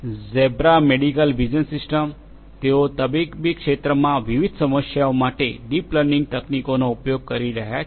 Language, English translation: Gujarati, Zebra medical vision system, they are using deep learning techniques for de different problems in the medical domain